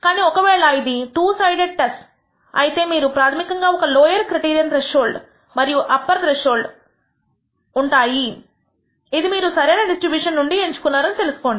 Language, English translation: Telugu, But realize that if it is a two sided test you basically have a lower criterion threshold and the upper threshold which you select from the appropriate distribution